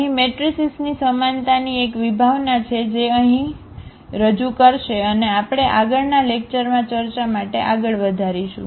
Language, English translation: Gujarati, There is a concept here the similarity of matrices which will introduce here and we will continue for the discussion in the next lecture